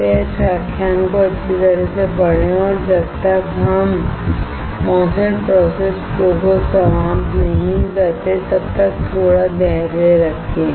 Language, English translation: Hindi, Please read this lecture thoroughly and until we finish the MOSFET process flow, have some patience